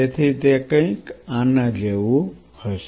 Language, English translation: Gujarati, So, it will be a something like this